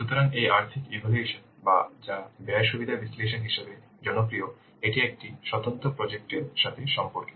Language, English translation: Bengali, So, this financial assessment or which is popularly known as cost benefit analysis, this relates to an individual project